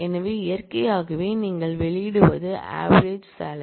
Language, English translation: Tamil, So, naturally what you output is average salary